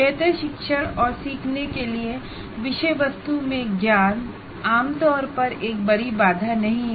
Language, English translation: Hindi, Knowledge in the subject matter generally is not a major bottleneck to better teaching and learning